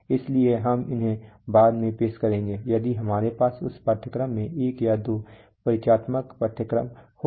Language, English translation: Hindi, So we will introduce them later if we have, when we have one or two introductory courses, introductory lectures lessons in this course